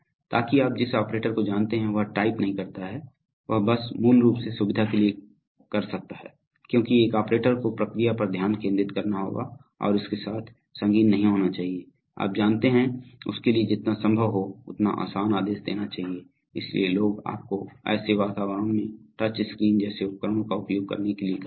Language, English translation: Hindi, So that the operator you know did not type, he can just, for basically convenience because an operator has to concentrate on the process and should not be bogged down with, you know, it should be as easy for him to give commands as possible, so people use you know devices like touch screens in such environments